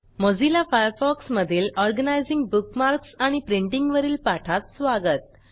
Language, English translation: Marathi, Welcome to the Spoken Tutorial on Organizing Bookmarks and Printing in Mozilla Firefox